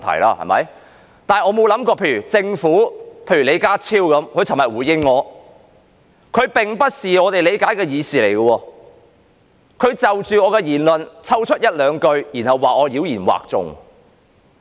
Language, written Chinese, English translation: Cantonese, 但是，我想不到的是，政府——李家超局長——昨天就我發言內容的回應，並不是我們所理解的議事，他就着我的發言抽出一兩句話，然後說我妖言惑眾。, However what is beyond my expectation is the response from the Government―Secretary John LEE―to my speech yesterday and what he said is not the kind of deliberation in our understanding . He singled out a phrase or two from my speech and then said that I was pulling the wool over the eyes of the public